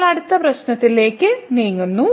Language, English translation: Malayalam, Now, moving next to the next problem